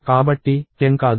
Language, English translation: Telugu, So, 10 is not